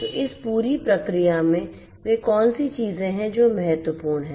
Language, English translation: Hindi, So, in this entire process what are the things that are important